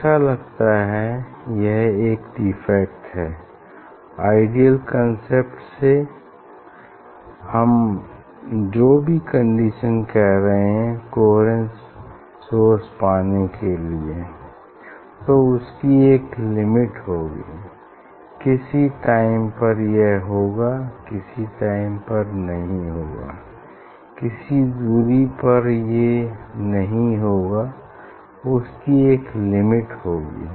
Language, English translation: Hindi, it is looks it is a defect from ideal concept it is deviate there is a defect on that ideal concept, whatever the condition we are telling for getting coherent source, so there is a limitation on that, for any time it will not happen, for any distance it will not happen ok there is a limitation on it